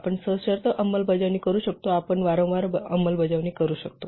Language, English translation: Marathi, We can have conditional execution, we can have repeated execution